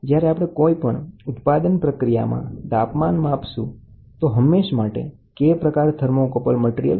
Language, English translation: Gujarati, When we try to measure temperature in the manufacturing process, we always say K type thermocouple